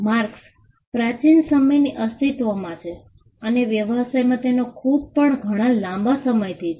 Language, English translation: Gujarati, Marks have existed since time immemorial and the usage in business has also been there for a long time